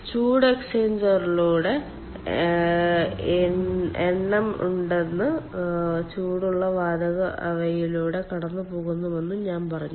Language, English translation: Malayalam, i told that there are number of heat exchangers and ah the ah hot gas um passes through them